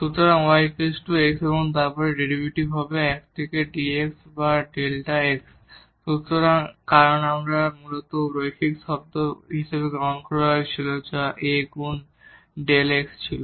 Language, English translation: Bengali, So, y is equal to x and then the derivative will be 1 into dx or delta x; so, because this was originally taken as the linear term which was A times the delta x